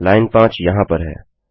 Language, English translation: Hindi, Line 5 is here